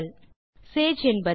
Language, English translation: Tamil, To start with, what is Sage